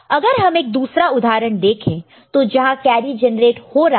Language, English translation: Hindi, So, if we look at another example where carry is getting produced